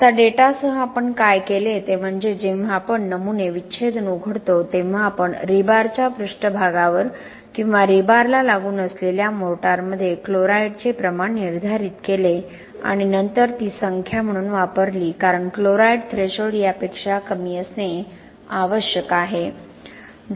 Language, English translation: Marathi, Now with the data what we did is when we open the specimens autopsy then we took the chloride of, determined the amount of chloride at the rebar surface or in the motor adjacent to the rebar and then use that number as at because the chloride threshold has to be at least sorry it has to be lower than this 0